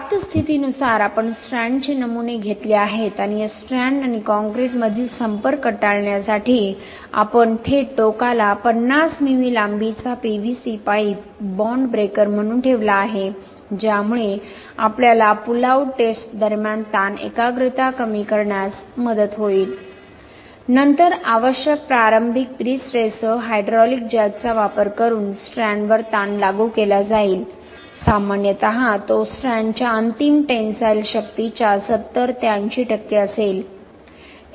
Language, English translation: Marathi, We have taken the strand samples as received condition and we have placed a 50mm long PVC pipe at the live end as a bond breaker to prevent the contact between this strand and concrete which will help us to reduce the stress concentration during the pull out test, then stress will be applied on the strand using the hydraulic jack with the required initial pre stress, typically it will be 70 to 80 percentage of its ultimate tensile strength of the strand